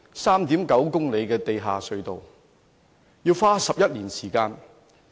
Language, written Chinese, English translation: Cantonese, 3.9 公里的地下隧道要花11年時間。, This 3.9 - kilometre tunnel has to take 11 years to complete